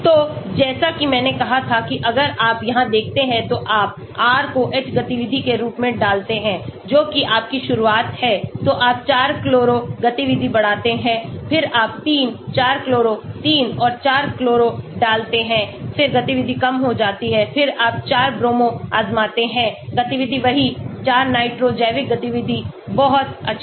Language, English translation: Hindi, So, the logic as I said if you look here you put R as H the activity that is your starting then you put 4 chloro activity increases then you put 3,4 chloro 3 and 4 chloro then the activity decreases, then you try 4 Bromo activity same put 4 nitro biological activity is very good